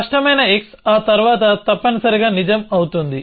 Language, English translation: Telugu, So, clear x will remain true after that essentially